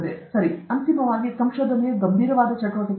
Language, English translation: Kannada, Okay, finally, research is a serious activity